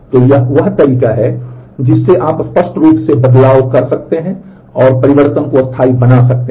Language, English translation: Hindi, So, this is the way you can explicitly do commit and make the changes permanent